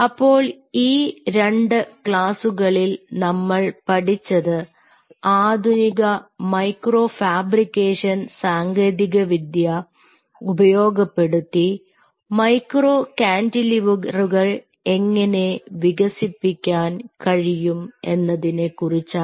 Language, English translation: Malayalam, so what we have learned here in these two classes is how, using the modern micro fabrication technology, you can develop cantilever, cantilevers, micro cantilevers